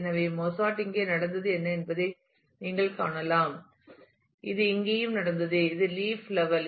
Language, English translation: Tamil, So, you can see that Mozart happened here, it also happened here and this is the leaf level